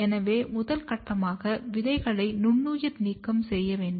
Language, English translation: Tamil, So, the first step is where we sterilize the seeds